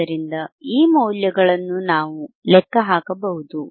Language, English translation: Kannada, So, thisese values we can calculate, and